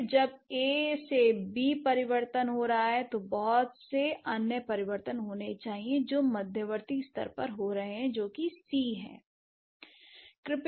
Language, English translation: Hindi, Then between A, when the changes are happening from A to B, there must be a lot of other changes which have happened in the intermediate level which is C